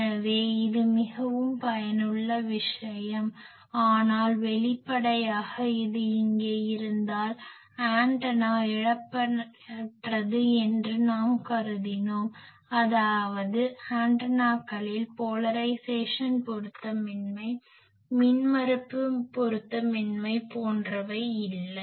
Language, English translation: Tamil, So, this is a very useful thing but if obviously, if this there are there here, we have assumed that the antenna are lossless, the antennas are there are no polarization mismatch, there are no impedance mismatch etc